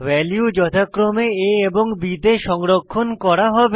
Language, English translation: Bengali, The values will be stored in variable a and b, respectively